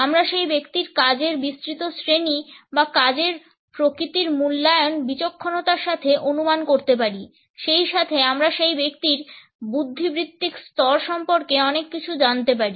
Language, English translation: Bengali, We can also make a very shrewd guess in assessment of the broad categories of work or the nature of work with which that individual is associated, as well as we can find out a lot about the intellectual level of that person